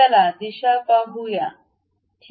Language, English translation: Marathi, Let us look at the direction, ok